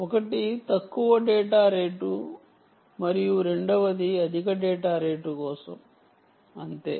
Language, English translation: Telugu, well, this is low data rate and this is for high data rate